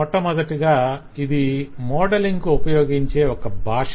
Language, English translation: Telugu, first of all, its an expressive modelling language